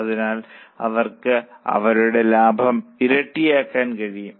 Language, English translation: Malayalam, So, they could nearly double their profit